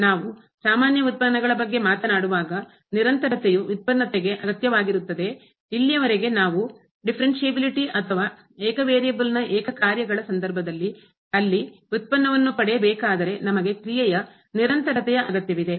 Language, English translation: Kannada, When we talk about the usual derivatives, the continuity is must for the differentiability, but that is so far we called differentiability or getting the derivative there in case of single functions of single variable, we need continuity of the function